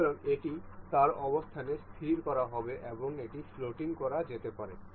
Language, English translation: Bengali, So, this will be fixed in its position and this can be made floating